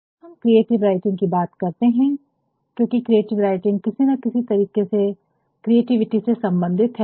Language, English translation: Hindi, Now, when we talk about creativity, because creative writing is some way or the other linked with creativity